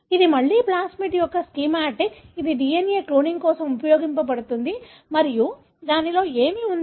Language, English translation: Telugu, So, this is again a schematic of a plasmid which is used for cloning DNA and what it has